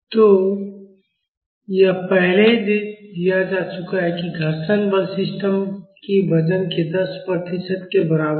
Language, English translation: Hindi, So, it is already given that the friction force is equal to 10 percentage of the weight of the system